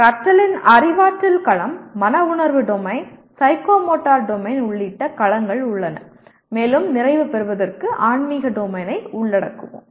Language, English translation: Tamil, Learning has domains including Cognitive Domain, Affective Domain, Psychomotor Domain and for completion we will include Spiritual Domain